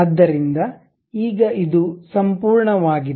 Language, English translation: Kannada, So, now, it is a complete one